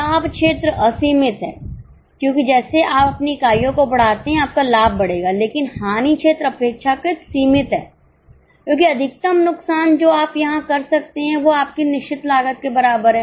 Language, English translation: Hindi, As you can increase your units, your profits will go on increasing but loss area is relatively limited because maximum loss which you can make here is equal to your fixed cost